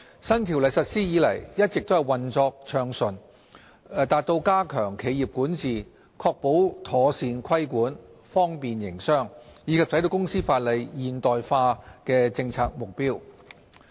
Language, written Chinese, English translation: Cantonese, 新《條例》實施以來一直運作順暢，達到加強企業管治、確保妥善規管、方便營商，以及使公司法例現代化的政策目標。, Implementation of the new CO has been smooth and it has achieved our policy objectives to enhance corporate governance ensure better regulation facilitate business and modernize the company law